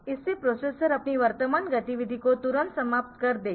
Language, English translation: Hindi, So, that will cause the processor to immediately terminate its present activity